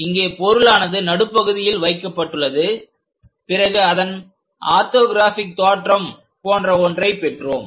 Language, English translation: Tamil, The object somewhere kept at middle and after projections we got something like orthographic views in that way